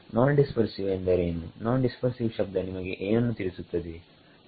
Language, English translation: Kannada, What is non dispersive, what is the word non dispersive tell you